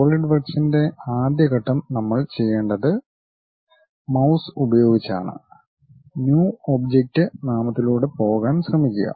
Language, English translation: Malayalam, The first step as Solidworks what we have to do is using mouse try to go through this object name New